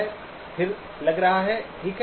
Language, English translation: Hindi, Looks stationary, okay